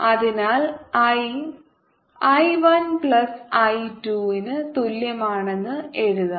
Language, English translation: Malayalam, so let's write: i is equal to i one plus i two